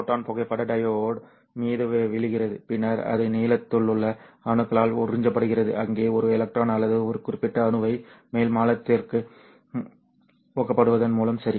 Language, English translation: Tamil, A photon comes in and falls onto the photodiod, then it gets absorbed by the atoms in the ground state, thereby promoting a electron or a particular atom onto the upper state